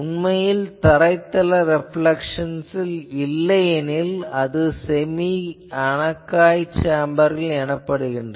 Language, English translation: Tamil, Actually if you do not have the ground reflections considered then it is called semi anechoic